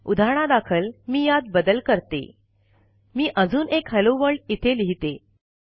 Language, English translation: Marathi, For example, if I modify it, let me add another hello world here